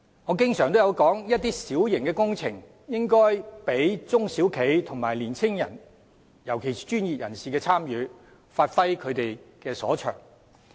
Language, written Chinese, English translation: Cantonese, 我經常也說，一些小型工程應讓中小型企業和年青的專業人士參與，讓他們發揮所長。, As I have always said some minor works should allow the involvement of small and medium enterprises SMEs and young professionals to enable them to give play to their talents